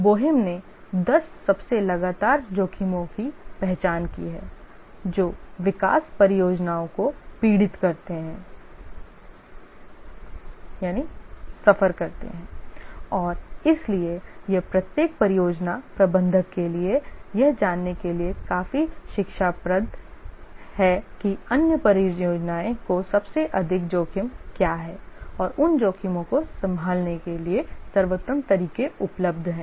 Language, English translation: Hindi, Bohem has identified 10 most frequent risks that development projects suffer and therefore this is quite instructive for every project manager to identify what are the most frequent risks that the other projects have suffered and what are the best ways available to handle those risks